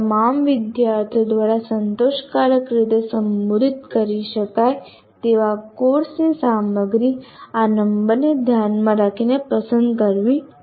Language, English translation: Gujarati, The content of the course that can be addressed satisfactorily by all students should be selected keeping this number in mind